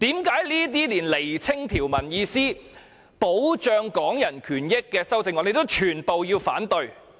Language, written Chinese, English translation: Cantonese, 為何這些旨在釐清條文意思，保障港人權益的修正案也全部要反對？, Why should they oppose all these amendments which seek to clarify the meaning of the relevant provisions and protect the rights of Hong Kong people?